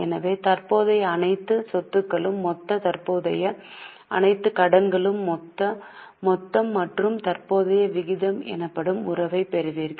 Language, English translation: Tamil, So, all the current assets are total, all the current liabilities are total and you get a relationship which is known as current ratio